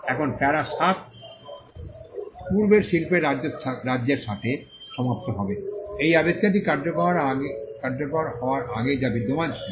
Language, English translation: Bengali, Now, para 7 ends with the state of the prior art, what is that existed before this invention came into being